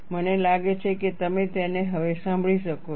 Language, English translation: Gujarati, I think you can hear it now